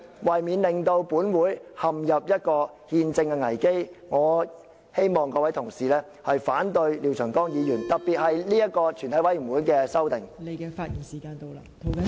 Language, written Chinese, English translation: Cantonese, 為免本會陷入憲政危機，我希望各位同事反對廖長江議員，特別是這個全體委員會的修訂。, To prevent this Council from falling into any constitutional crisis I hope that fellow Members will oppose Mr Martin LIAOs resolution especially concerning the amendments on a Committee of the Whole Council